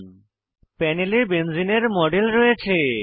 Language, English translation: Bengali, We have a model of benzene on the panel